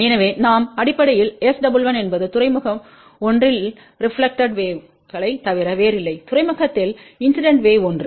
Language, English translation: Tamil, So, what we are basically saying S 11 is nothing but reflected wave at port 1 divided by incident wave at port 1